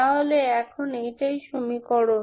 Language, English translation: Bengali, So this is the equation